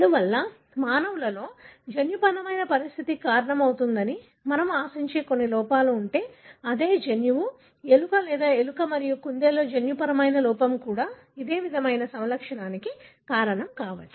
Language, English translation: Telugu, Therefore, if there are some defect that we expect to cause a genetic condition in humans, is likely that the same gene, gene defect in the mouse or rat and rabbit should also be causing this similar phenotype